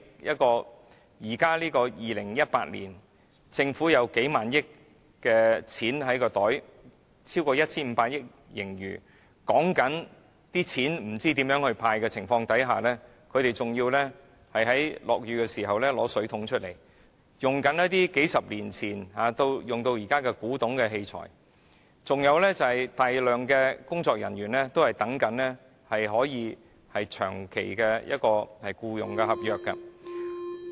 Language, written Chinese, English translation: Cantonese, 現在是2018年，政府有數萬億元在口袋裏，有超過 1,500 億元的盈餘，在討論不知道如何"派錢"的情況下，職員仍要在下雨時拿出水桶來盛水、使用一些沿用數十年至今，已經變成古董的器材，還有大量工作人員正在等候簽署長期僱員合約。, It is now 2018 and the Government has thousands of billions of dollars in its pocket and over 150 billion of surplus . At a time when the discussion centres around finding ways to make cash handouts staff members still have to take out buckets to catch rainwater and use equipment that has been in use for several decades and become antiques . Moreover a large number of staff members are waiting to sign long - term employment contracts